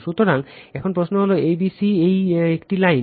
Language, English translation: Bengali, So, now question is that a b c this is a dash line